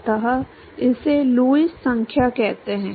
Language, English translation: Hindi, So, that is called Lewis number